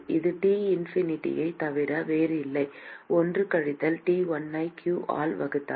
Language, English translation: Tamil, This is nothing but T infinity,1 minus T1 divided by q